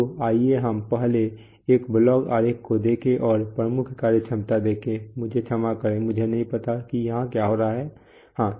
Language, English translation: Hindi, So let us first look at a block diagram and see the major functionality, I'm sorry, I Don’t know what is happening here, yeah